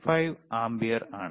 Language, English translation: Malayalam, 5 ampere, right